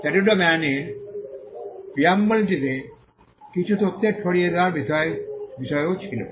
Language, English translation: Bengali, The preamble of the statute of Anne also had something on dissemination of information